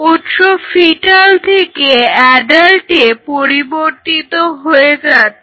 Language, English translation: Bengali, So, your source is changing all the way from fetal to an adult